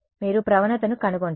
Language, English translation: Telugu, You find the gradient